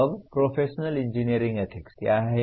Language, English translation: Hindi, Now, what are Professional Engineering Ethics